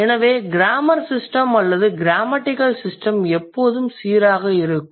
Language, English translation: Tamil, So, the grammar system or the grammatical system remains consistent always